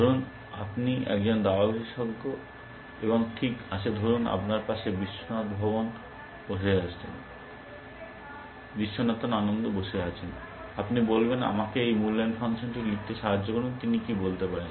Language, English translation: Bengali, Let say you are a chess expert and All right, let say you have Viswanathan Anand sitting next to you, and you say help me write this evaluation function, what could he say